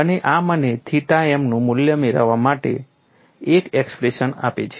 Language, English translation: Gujarati, And this gives me an expression to get the value of theta m